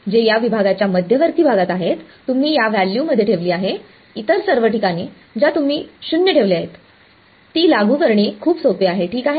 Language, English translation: Marathi, So, that z m which is the centre of this segment you put in this value all other places you put 0 that is it very simple to apply ok